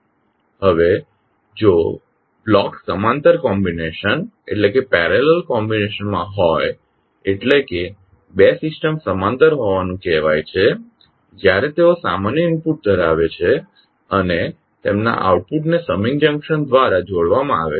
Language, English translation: Gujarati, Now, if the blocks are in parallel combination means two systems are said to be in parallel when they have common input and their outputs are combined by a summing junction